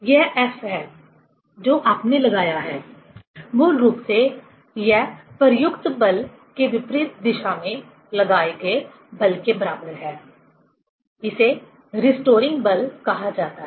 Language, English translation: Hindi, This F is basically, which you have applied, equal to the force acted opposite to the applied force; that is called the restoring force